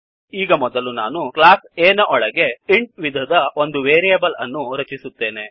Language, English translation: Kannada, Now inside class A, I will first create a variable of type int